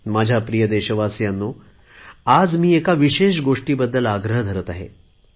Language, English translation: Marathi, My dear countrymen, today I want to make a special appeal for one thing